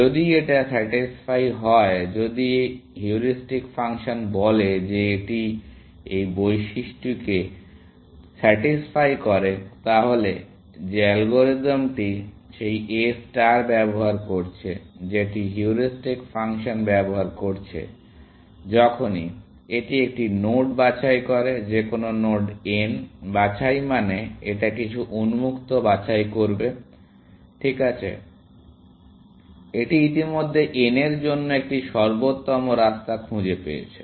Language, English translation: Bengali, If this is satisfied, if the heuristic function said that it satisfies this property, then the algorithm which is using that A star, which is using that heuristic function; whenever, it picks a node, any node n; picks meaning, it picks some open, right; it has already found an optimal path to n